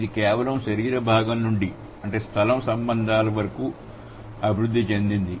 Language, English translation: Telugu, So, this has developed from being just a body part to space relationships